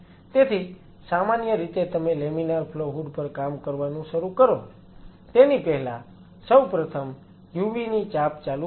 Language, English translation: Gujarati, So, generally before you start working on laminar flow hood it is good idea to switch on a UV before that and leave it on for half an hour or So